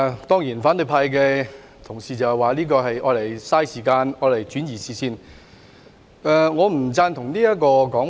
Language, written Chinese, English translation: Cantonese, 當然反對派的同事指，這項議案是浪費時間，轉移視線，但我不贊同這說法。, My colleagues from the opposition camp will certainly say that this motion is a waste of time and a red herring but I disagree